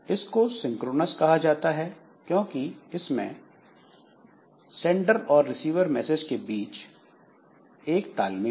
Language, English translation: Hindi, So, this is called synchronous because we have got synchronism between the sender and receiver of messages